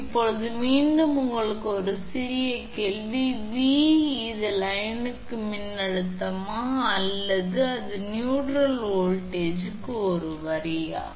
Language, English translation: Tamil, Now a small question to again you V is it a line to line voltage or it is a line to neutral voltage